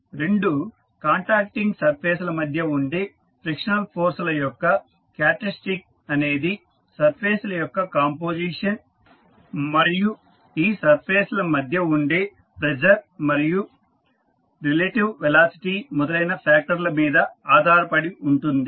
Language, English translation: Telugu, The characteristic of frictional forces between two contacting surfaces depend on the factors such as the composition of the surfaces and the pressure between the surfaces and their their relative velocity among the others